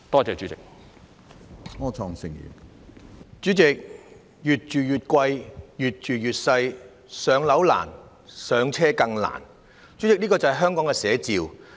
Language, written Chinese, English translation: Cantonese, 主席，"越住越貴，越住越細"，"上樓難，上車更難"，便是香港的寫照。, President flats are getting pricier and smaller; public housing allocation is hard but first - time home ownership is harder―these are the living realities of Hong Kong